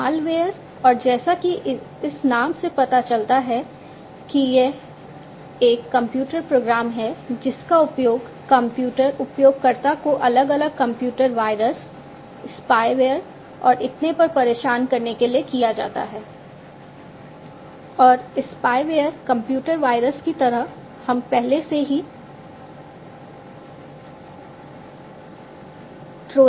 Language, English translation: Hindi, Malware, and as this name suggests it is a computer program which is used to disturb the computer user such as different computer viruses, spyware and so on